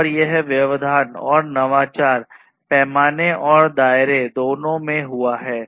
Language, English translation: Hindi, And this disruption and innovation has happened in both the scale and scope